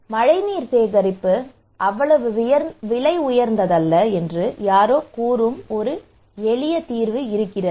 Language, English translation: Tamil, Now what to do with this is the simple solution somebody is saying that rainwater harvesting is not that expensive